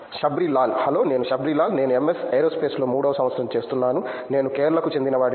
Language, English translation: Telugu, Hello I am Shabrilal, I am doing third year MS in Aerospace, I am from Kerala